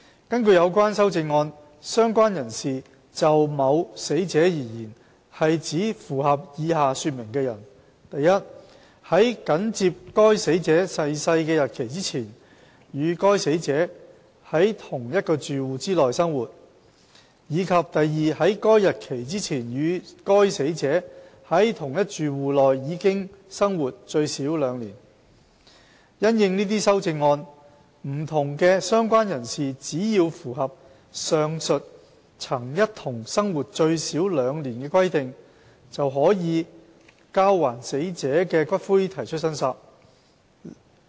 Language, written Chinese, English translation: Cantonese, 根據有關修正案，"相關人士"就某死者而言，是指符合以下說明的人： i 在緊接該死者逝世的日期前，與該死者在同一住戶內生活；及在該日期前，與該死者在同一住戶內已生活最少兩年；因應這些修正案，不同的"相關人士"只要符合上述曾一同生活最少兩年的規定，便可就交還死者的骨灰提出申索。, According to the amendments in relation to a deceased person a related person means a person who i was living with the deceased person in the same household immediately before the date of the death of the deceased person; and ii had been living with the deceased person in the same household for at least two years before that date; In the light of these amendments related person of various types may claim the return of ashes as long as they meet the aforementioned requirement of having lived with the deceased in the same household for at least two years